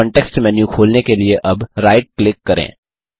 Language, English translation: Hindi, Now right click to open the context menu